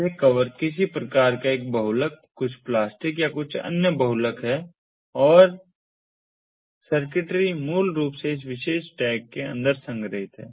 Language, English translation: Hindi, this cover is some kind of a polymer, some plastic or some other polymer, and the circuitry is basically stored inside this particular tag